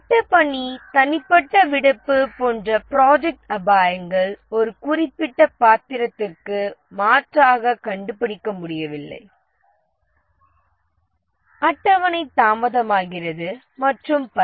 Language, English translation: Tamil, And then there are project risks like project personnel leave, unable to find replacement for a specific role, the schedule gets delayed and so on